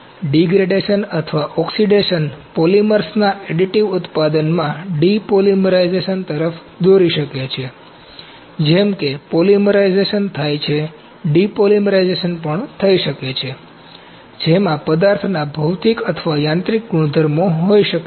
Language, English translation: Gujarati, So, degradation or oxidation may lead to depolymerization in additive manufacturing of polymers, like polymerization happens, depolymerization could also happen that can have the physical or mechanical properties of the materials